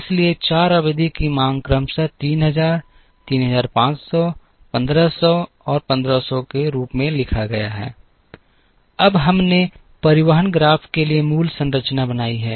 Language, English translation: Hindi, So, the 4 period demands are written as 3000, 3500, 1500 and 1500 respectively, now we have created the basic structure for a transportation graph